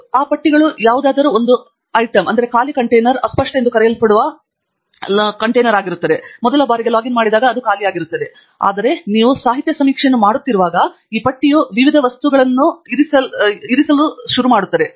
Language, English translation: Kannada, And what those lists have is also an item an empty container called unfiled, which when we first time login it will be empty, but as you keep doing literature survey this list will kept populated by various items